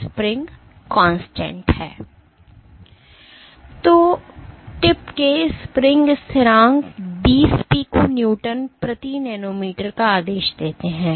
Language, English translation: Hindi, So, spring constants of the tip order 20 Pico Newton per nanometer